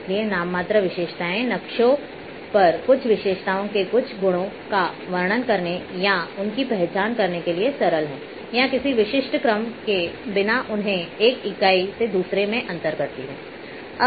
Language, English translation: Hindi, So, nominal attributes are just simple to describe or identify certain properties certain features on the map or distinguish them from one entity to another without any specific order